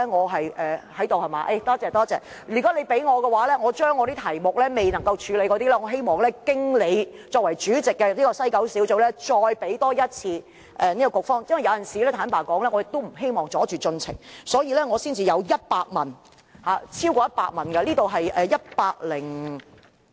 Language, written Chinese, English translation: Cantonese, 如果他容許我，我希望把未能處理的問題經聯合小組委員會主席劉議員再給西九管理局，因為有時候，坦白說，我也不希望阻礙進程，所以我才會有100問，超過100條問題。, If he allows me I would like to submit my outstanding questions to WKCDA through Mr LAU Chairman of the Joint Subcommittee . Honestly sometimes I do not want to delay the proceedings of meetings and that is why I have submitted 100 or more than 100 questions